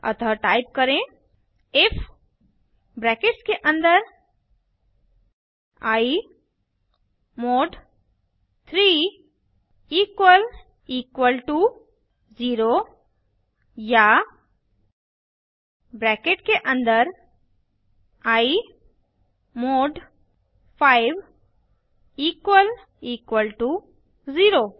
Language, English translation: Hindi, So type, if within brackets i mod 3 double equal to 0 or within brackets i mod 5 double equal to 0